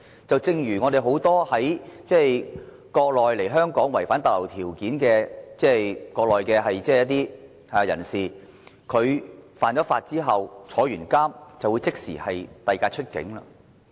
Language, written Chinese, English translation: Cantonese, 正如很多國內來港、違反逗留條件的人士，在犯法及服刑之後就會被即時遞解出境。, As in the case for many people from the Mainland who have breached the conditions of stay they will be immediately deported after they are released from imprisonment for their offences